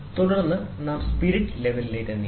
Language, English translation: Malayalam, Then we move to spirit level